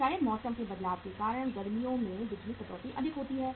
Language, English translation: Hindi, Maybe because of change of season, in summer the power cut is more